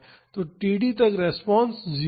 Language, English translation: Hindi, So, till td the response is 0